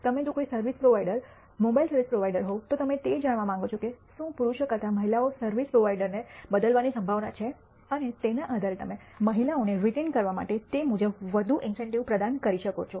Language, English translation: Gujarati, You can if you are a service provider mobile service provider you want to know whether women are more likely to change service provider than men and depending on that you might want to provide more incentives accordingly for women to retain them